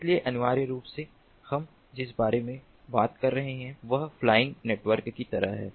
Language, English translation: Hindi, so, essentially, what we are talking about is something like a flying network